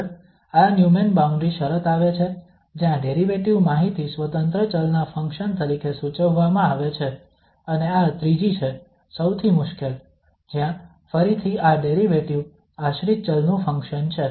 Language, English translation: Gujarati, The next comes to this Neumann boundary condition where the derivative information is prescribed as a function of independent variable and this is the third one, the most difficult one where the, again this derivative is function of dependent variable